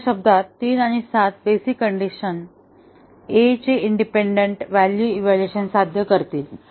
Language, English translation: Marathi, In other words 3 and seven will achieve independent evaluation of the basic condition A